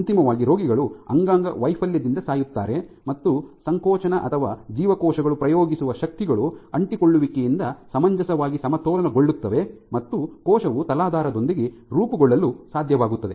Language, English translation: Kannada, So, eventually patients die of organ failure and this is the case where contractility or the forces which the cells are exerting are reasonably balanced by the adhesions which the cell is able to form with the substrate